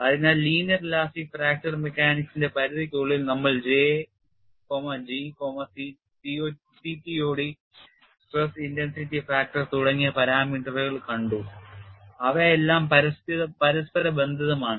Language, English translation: Malayalam, So, within the confines of linear elastic fracture mechanics although we have seen parameters like J, G, CTOD and stress intensity factor they are all interrelated